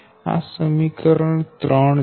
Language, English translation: Gujarati, this is equation three